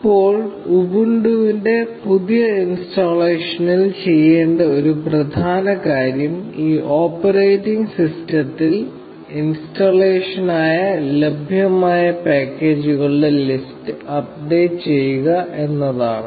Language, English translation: Malayalam, Now, an important thing to do with a fresh installation of Ubuntu is to update the list of packages that are available for installation on this operating system